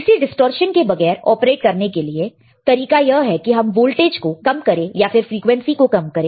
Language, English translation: Hindi, To operate the without distortion the way is to lower the voltage or lower the frequency you got it